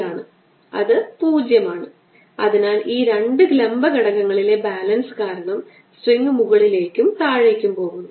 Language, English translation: Malayalam, so this, this balance in the in the two vertical components, make the string up and down